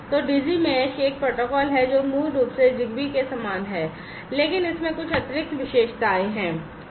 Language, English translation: Hindi, So, Digi mesh is a protocol that basically is similar to Zigbee, but has certain you know additional features